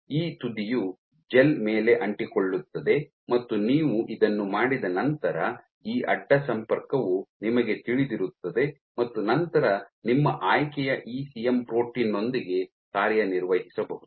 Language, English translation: Kannada, So, this one end attaches onto the gel and then once you have done this you know this cross linking then on top you can functionalize with your ECM protein of choice